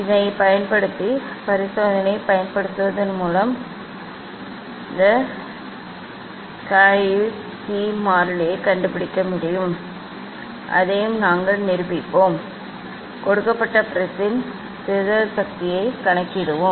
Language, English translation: Tamil, using this using experiment one can find out these Cauchy constant that also we will demonstrate, we will perform the experiment next calculate the dispersive power of the given prism